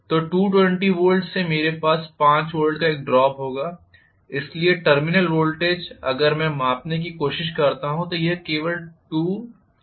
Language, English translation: Hindi, So from 220 I will have a drop of 5 volts so the terminal voltage if I try to measure now this may be only 215 volts